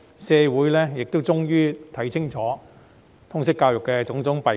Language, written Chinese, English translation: Cantonese, 社會終於看清楚通識教育的種種弊病。, The community finally sees clearly the various shortcomings of LS